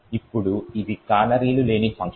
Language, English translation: Telugu, Now this is a function without canaries